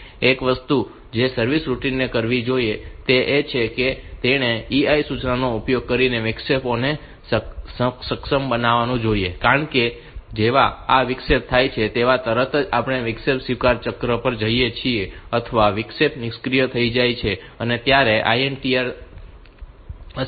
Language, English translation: Gujarati, One thing that the service routine should do is that it should enable the interrupts using EI instruction because as soon as this interrupt occurs the when we go to the interrupt acknowledge cycle this or the interrupt gets disabled the INTR gets disabled